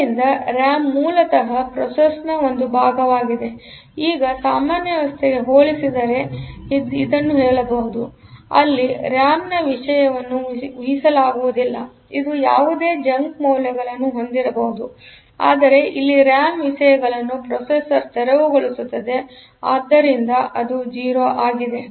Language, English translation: Kannada, So, that will ensure that the scratch pad is clear; so RAM is basically a part of the processor now we can say compared to the general system, where the over the content of the RAM is not predictable; it can contain any garbage, but here the RAM contents are cleared by the processor; so, it is all 0